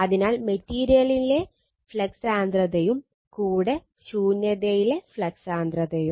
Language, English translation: Malayalam, So, flux density in material, so flux density in a vacuum